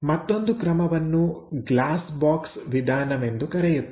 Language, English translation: Kannada, The other method is called glass box method